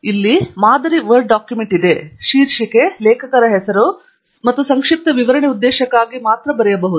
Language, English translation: Kannada, I have a sample Word document here; the title, an author name, and a brief write up only for illustration purpose